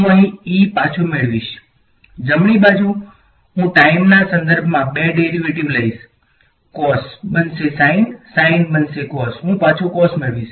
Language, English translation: Gujarati, I will get E back over here, right hand side I will take two derivatives with respect to time; cos will become sin will become cos I will get back cos right